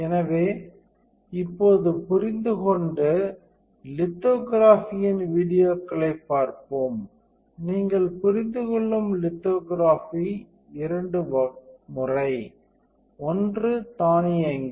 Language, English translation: Tamil, So, now let us understand and see the lithography videos where you will be understanding two times of lithography, one is automated one and second is semi automated one